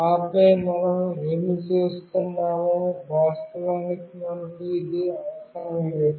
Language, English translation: Telugu, And then in the main what we are doing, actually we do not require this